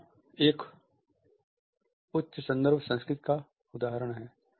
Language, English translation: Hindi, Here is an example of a high context culture